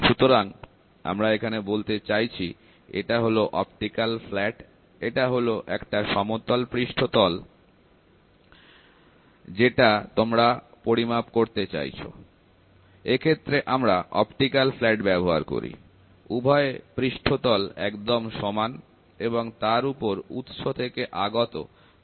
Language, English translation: Bengali, So, what we are trying to say is, we are trying to say this is an optical flat, this is a flat surface you want to measure the flatness of the surface, we use an optical flat, both the surfaces are flat at the light from the source falls on it